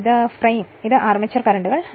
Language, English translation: Malayalam, And this is your frame and this is your armature conductors right